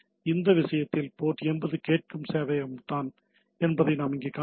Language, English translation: Tamil, So, what we see here that it is it is the server which is listening at port 80 in this case